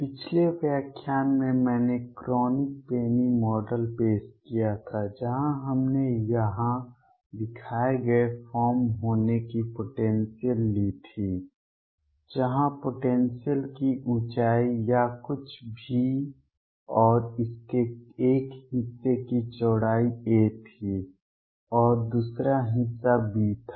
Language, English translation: Hindi, In the previous lecture I introduced the Kronig Penny model where we had taken the potential to be the form shown here, where the height of the potential or some V and width of one portion of it was a and the other portion was b